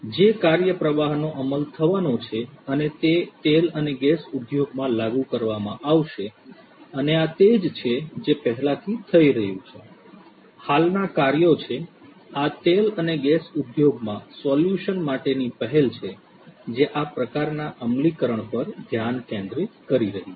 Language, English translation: Gujarati, The workflow that is going to be implemented and this is going to be implemented in the oil and gas industry and this is what is already happening, this is what is already happening, there are existing works, initiatives that are focusing on implementation of this kind of solution in the oil and gas industry